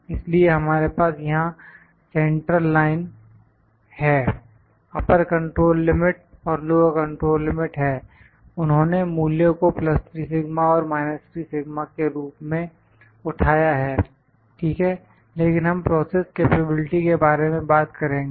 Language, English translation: Hindi, So, we have the central line, upper control limit, lower control limit here, they have picked the values has this values as plus 3 sigma and this is minus 3 sigma, ok, but we will talk about the process capability